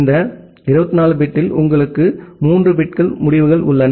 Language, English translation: Tamil, Out of this 24 bit, you have 3 bits results